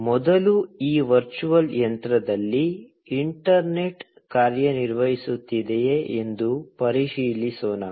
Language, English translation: Kannada, So, first, let us verify if the internet is working on this virtual machine